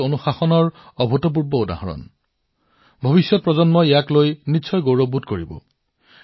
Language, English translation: Assamese, It was an unprecedented example of discipline; generations to come will certainly feel proud at that